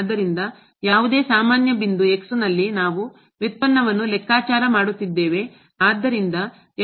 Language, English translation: Kannada, So, at any general point we are computing the derivative